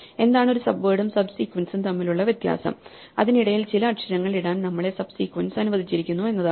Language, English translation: Malayalam, So, the difference between a subword and a subsequence is that we are allowed to drop some letters in between